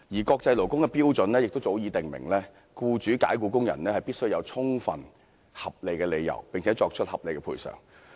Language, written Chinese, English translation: Cantonese, 國際勞工的標準亦早已訂明，僱主解僱工人必須有充分合理的理由，並作出合理的賠償。, According to the International Labour Standards established long ago the employer must have reasonable grounds for dismissing the employee and the employer must also pay reasonable compensation